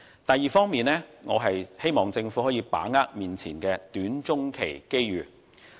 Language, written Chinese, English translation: Cantonese, 第二方面，我希望政府能把握現時的短、中期機遇。, Second I hope the Government can grasp the opportunities arising in the short - and medium - run